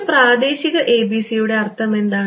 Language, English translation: Malayalam, What is the meaning of a local ABC